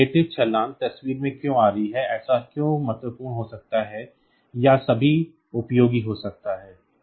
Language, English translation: Hindi, Why this relative jump is; so, coming into picture why is it so, may be so, important or at all useful